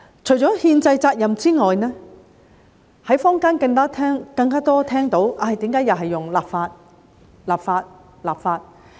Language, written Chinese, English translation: Cantonese, 除了憲制責任外，在坊間聽到更多的是："為何又是要立法、立法、立法？, Apart from the constitutional responsibility what I hear more often in the community is Why is it necessary to legislate legislate and legislate again?